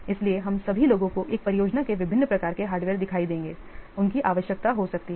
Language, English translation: Hindi, So all the persons there will, we have seen different types of hardware in a project they may be required